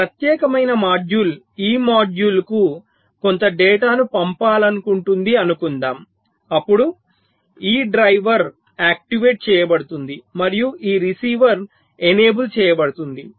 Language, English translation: Telugu, let say, when this particular module once to sends some data to this module, then this driver will be activated and this receiver will be enabled